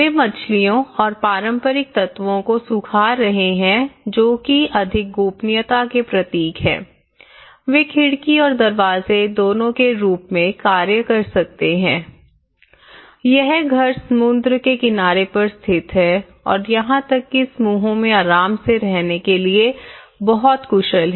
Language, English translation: Hindi, They are drying of the fish and also the traditional elements which have the more privacy symbols it could act both as a window and door and it is climatically on the coastal side it is very efficient to give comfortable stay in the house and even the clusters